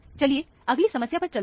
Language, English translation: Hindi, Let us move on to the next problem